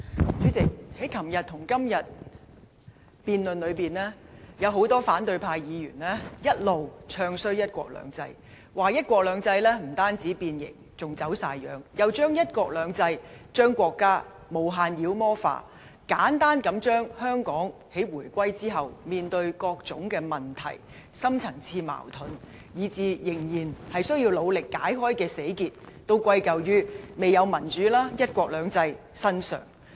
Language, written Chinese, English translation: Cantonese, 主席，在昨天和今天的辯論中，有很多反對派議員一直"唱衰""一國兩制"，說"一國兩制"不但變形，而且"走晒樣"，又將"一國兩制"、將國家無限妖魔化，簡單地將香港在回歸後面對的各種問題、深層次矛盾，以至仍然需要努力解開的死結，都歸咎於未有民主及"一國兩制"身上。, President in the debates held yesterday and today many opposition Members have never stopped bad - mouthing one country two systems claiming that its implementation has not only been distorted but totally deformed . They also demonize one country two systems and the country to the utmost . They simply attribute various problems and deep - rooted conflicts that Hong Kong has to face after the reunification as well as all thorny problems that require great efforts in resolving to the lack of democracy and the implementation of one country two systems